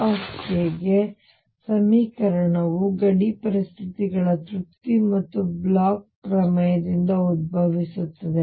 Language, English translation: Kannada, Equation for E k arises from the satisfaction of boundary conditions and Bloch’s theorem